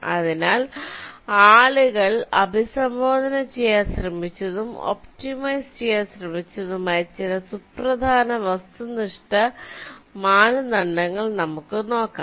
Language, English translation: Malayalam, so let us look at some of the more important objective criteria which people have tried to address and tried to optimize